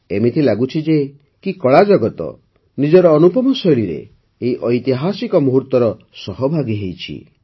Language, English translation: Odia, It seems that the art world is becoming a participant in this historic moment in its own unique style